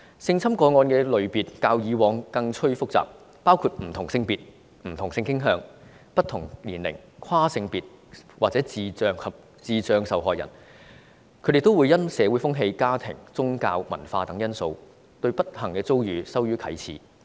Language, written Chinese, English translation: Cantonese, 性侵個案的類別較以往更趨複雜，包括不同性別、不同性傾向、不同年齡、跨性別或智障受害人，他們也會因社會風氣、家庭、宗教及文化等因素，對不幸遭遇羞於啟齒。, The types of sexual assault cases have become more complicated than before . They involve victims of different genders sexual orientations ages and they even involve transgender persons and mentally handicapped people . They will also find it embarrassing to tell other people their ordeals because of the social custom family background religious and cultures reasons